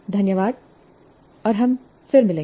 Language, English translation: Hindi, Thank you and we'll meet again